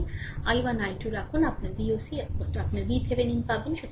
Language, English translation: Bengali, Put i 1 i 2 is you get V oc is equal to your V Thevenin